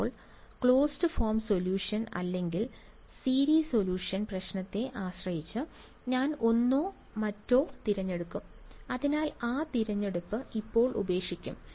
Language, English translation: Malayalam, Now, the closed form solution or a series solution, depending on the problem I will choose one or the other; so will leave that choice for now